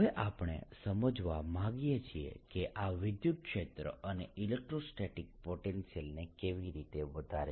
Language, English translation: Gujarati, now we want to understand how does this give rise to electric field and electrostatic potential